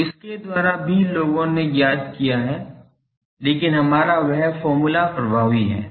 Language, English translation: Hindi, So, by that also people find out, but our that formula is effective